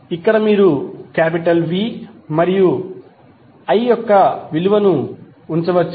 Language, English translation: Telugu, So here you can simply put the value of V and I